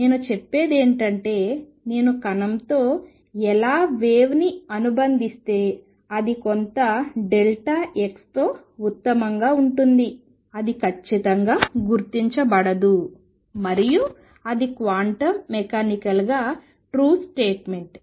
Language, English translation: Telugu, What I am saying is if I associate how wave with the particle, it can best be located within some delta x it cannot be located precisely, and that is a quantum mechanical true statement